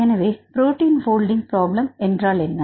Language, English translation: Tamil, So, what is the protein folding problem